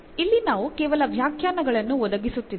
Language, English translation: Kannada, Here we are just providing the definitions